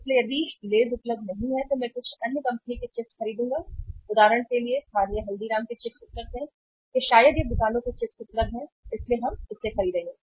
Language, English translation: Hindi, So if the Lays is not available I will purchase some other other company chips for example say uh local Haldiram’s chips are available or maybe this Bikano’s chips are available so we will buy that